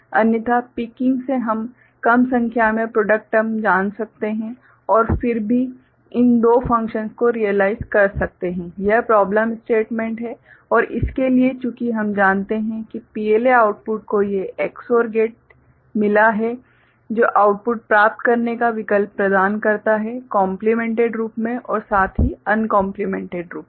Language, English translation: Hindi, Otherwise picking can we generate less number of you know product term and still realize these two functions this is what the problem statement is and for that since we know that the PLA output has got these Ex OR gate which provides an option to get the output in complemented as well as uncomplemented form